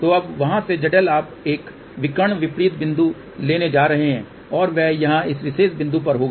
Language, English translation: Hindi, So, from their Z L you are going to take a diagonal opposite point and that will be over here at this particular point